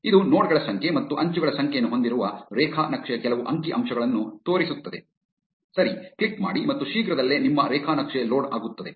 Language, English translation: Kannada, This will show some of the statistics about the graph which is the number of nodes and the number of edges, click on OK and soon your graph will be loaded